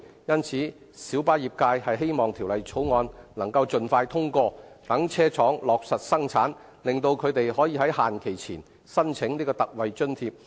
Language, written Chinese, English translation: Cantonese, 因此，小巴業界希望《條例草案》能夠盡快通過，讓車廠落實生產，令他們可於限期前申請特惠津貼。, For this reason the minibus trade hopes that the Bill can be passed expeditiously so that vehicle manufacturers can proceed with the production of vehicles and industry operators can apply for ex - gratia payment before the deadline